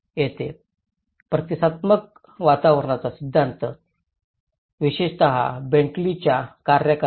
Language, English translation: Marathi, And here the theory of responsive environments especially the BentleyÃs work